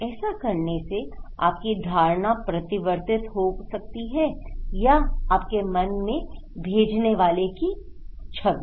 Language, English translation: Hindi, That may change your perception or the image of the sender